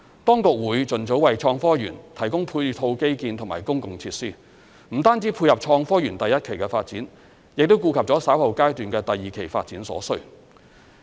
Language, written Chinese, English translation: Cantonese, 當局會盡早為創科園提供配套基建及公共設施，不單只配合創科園第一期的發展，亦顧及了稍後階段的第二期發展所需。, The Government will provide the supporting infrastructure and public facilities for HSITP as early as possible not only to support the first phase development of HSITP but also to cater for the needs of the second phase development at a later stage